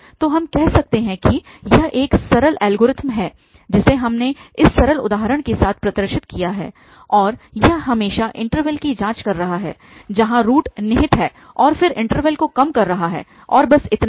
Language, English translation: Hindi, So, this a simple algorithm which we can, which we have demonstrated with this simple example and it is always just checking the interval where the root lies and then narrowing down the interval and that is all